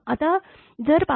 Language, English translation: Marathi, Now if it is 5